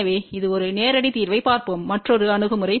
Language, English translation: Tamil, So, let us look at the direct solution which is the another approach